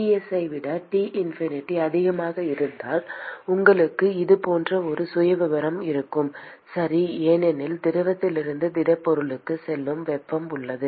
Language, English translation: Tamil, Supposing if T infinity is greater than Ts you are going to have a profile which looks like this alright because there is heat that is going from the fluid into the solid